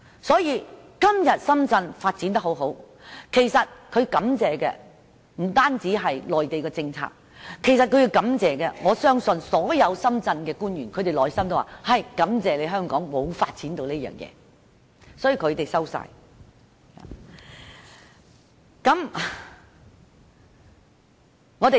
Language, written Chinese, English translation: Cantonese, 所以，今天深圳發展得這麼好，他們要感謝的，不單是內地的政策，我相信所有深圳官員內心都會感謝香港沒有發展這些產業，他們全部接收了。, Today the excellent performance of Shenzhen is not only attributed to the Mainland policies but also the fact that Hong Kong had not well developed those industries . Shenzhen has taken over the relevant industries and all Shenzhen officials should thank Hong Kong for that